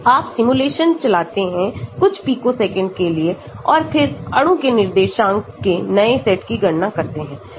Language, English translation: Hindi, you run the simulation for certain pico seconds and then calculate the new set of coordinates of the molecule